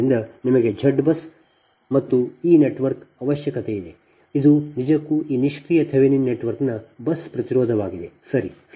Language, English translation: Kannada, so you need a z bus and this is that, this network, this is actually a bus impedance of this passive thevenin network